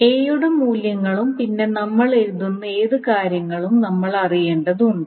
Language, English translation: Malayalam, So we need to know the values of A as and whatever the things that we are writing